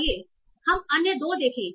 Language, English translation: Hindi, Let's see you the other two